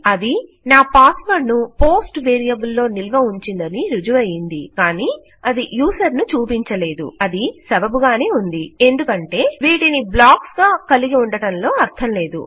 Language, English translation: Telugu, and it as given me my password It proves that it has been carried across it has been stored in a post variable but it hasnt shown the user, which could have made sense because there would be no point having these as blocks